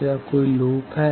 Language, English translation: Hindi, Is there any loop